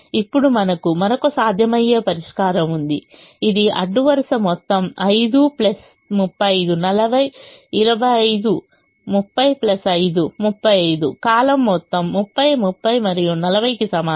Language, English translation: Telugu, now we have another feasible solution which has: row sum is equal to five plus thirty five, forty, twenty five, thirty plus five, thirty five